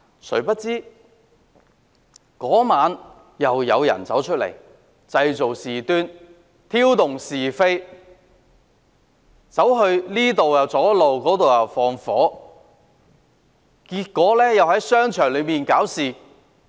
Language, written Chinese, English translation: Cantonese, 誰料當晚又有人出來製造事端，挑動是非，這邊廂堵路，那邊廂縱火，又在商場內搞事。, Families could dine out happily together . Unexpectedly some people came out again that night to stir up trouble . They sowed dissension blocked the roads here set fire there and created disturbances in shopping malls